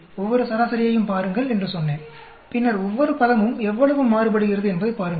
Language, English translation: Tamil, I said look at each one of the average, and then see each term how much it is varying